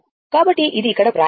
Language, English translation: Telugu, So, that is written here right